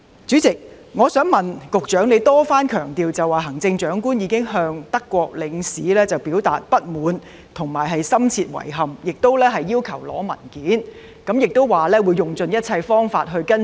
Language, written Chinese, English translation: Cantonese, 主席，局長多番強調行政長官已向德國領事表達不滿及深切遺憾，亦要求索取相關文件，並指會用盡一切方法跟進。, President the Secretary stressed once and again that the Chief Executive had expressed discontent and deep regrets to Germanys Consul General and made a request for the provision of relevant documents and he said that the authorities will follow up on the issue by all means